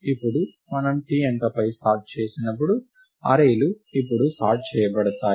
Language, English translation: Telugu, Now, when we sort on digit t… Now, when we sort on digit t, the arrays is now sorted; right